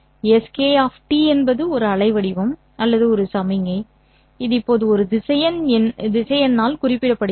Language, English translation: Tamil, So, SK of T is a waveform or a signal which has now been represented as a vector